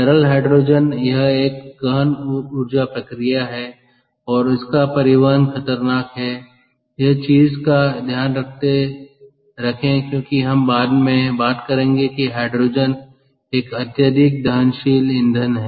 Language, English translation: Hindi, so this is an energy intensive process and transport is hazardous because hydrogen again, keep in mind as we will talk later is a highly combustible fuel